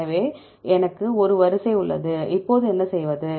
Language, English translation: Tamil, So, I have a sequence, now what to do